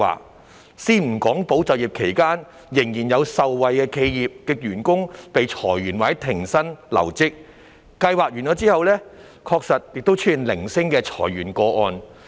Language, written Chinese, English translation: Cantonese, 我先不談"保就業"期間仍然有受惠企業的員工被裁員或停薪留職，計劃完結後確實出現了零星的裁員個案。, Leaving aside the fact that some employees of the beneficiary enterprises were still laid off or put on no - pay leave during the subsidy period of ESS sporadic redundancy cases did occur after ESS came to an end